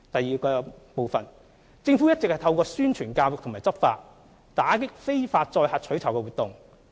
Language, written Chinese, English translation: Cantonese, 二政府一直透過宣傳教育和執法，打擊非法載客取酬活動。, 2 The Government has been combating illegal carriage of passengers for reward through publicity and education campaigns as well as law enforcement efforts